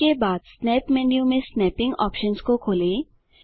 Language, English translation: Hindi, After that, explore the snapping options in the snap menu